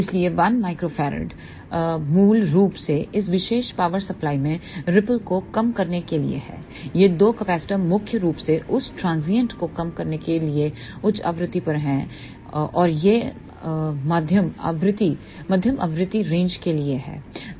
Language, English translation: Hindi, So, one microfarad is basically to reduce the ripple in this particular power supply, these two capacitors are mainly to reduce that transients at higher frequency and this is for mid frequency range